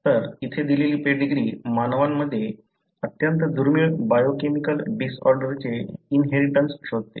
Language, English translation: Marathi, So, the pedigree given here traces the inheritance of a very rare biochemical disorder in humans